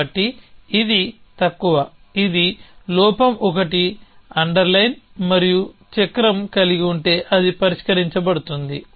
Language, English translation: Telugu, So, this is the less a this is the flaw an underline 1 and if have cycle it then it is been resolved